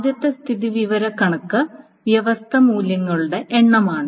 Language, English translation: Malayalam, The first statistic is the number of distinct values